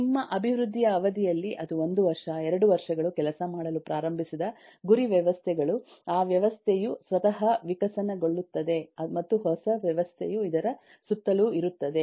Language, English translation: Kannada, over the period of your development if it is 1 year, 2 years the target systems that started working with that system itself evolves and the new system is around this